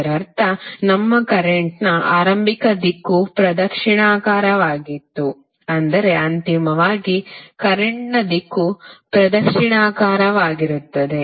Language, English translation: Kannada, That means that our initial direction of current was clockwise but finally the direction of current is anti clockwise